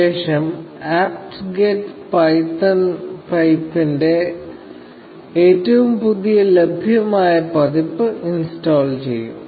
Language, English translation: Malayalam, So, apt get will install the latest available version of python pip